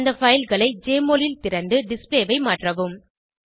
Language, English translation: Tamil, # Open the files in Jmol and modify the display